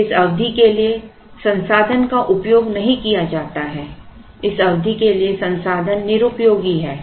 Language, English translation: Hindi, Then the resource is not utilized for this period is idle for this period